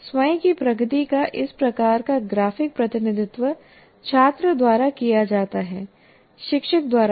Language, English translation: Hindi, This kind of graphic representation of one's own progress is drawn by the student, not by the teacher